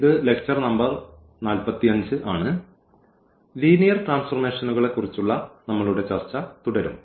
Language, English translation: Malayalam, And this is lecture number 45 and we will be talking about or continue our discussion on Linear Transformations